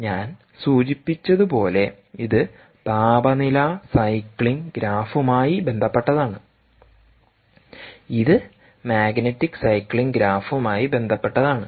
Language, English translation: Malayalam, as i mentioned, this is with respect to temperature cycling graph and this is with respect to the magnetic cycling graph